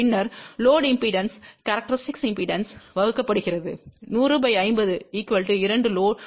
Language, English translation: Tamil, Then the load impedance divided by the characteristic impedance 100 by 50 will be equal to 2